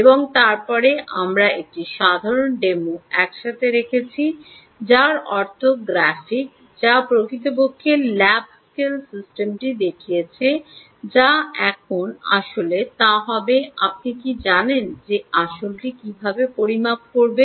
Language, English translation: Bengali, and then we put together a simple ah, um demo, i mean graphic, which actually showed the lab scale system, which now would actually be, do, would be, you know which would actually do this measurement